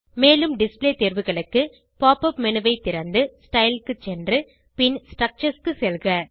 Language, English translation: Tamil, For more display options, Open the pop up menu and scroll down to Style, then to Structures